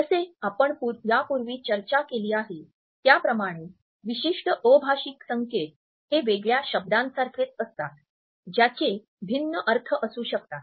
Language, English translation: Marathi, As we have discussed earlier a particular isolated nonverbal signal is like an isolated word which may have different meanings